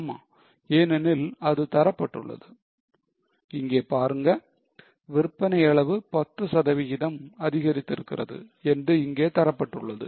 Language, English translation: Tamil, Yes because it is given that see here it is given that the increase in the sales volume by 10%